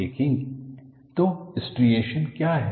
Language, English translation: Hindi, So, what are striations